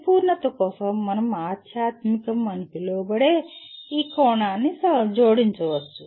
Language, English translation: Telugu, Just for completion we can add this dimension called spiritual